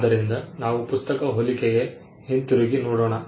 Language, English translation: Kannada, So, let us come back to the book analogy